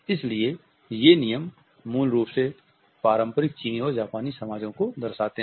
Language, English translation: Hindi, So, these rules basically reflect the conventional makeup of Chinese and Japanese societies